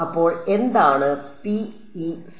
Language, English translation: Malayalam, So, what is the PEC